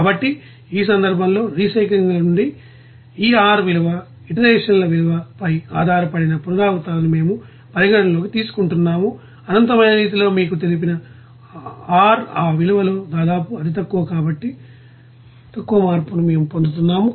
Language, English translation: Telugu, So, in this case since recycles we are considering that iterations based on these R value iterations value we are getting that at infinite you know iterations we are getting that almost negligible change of that R value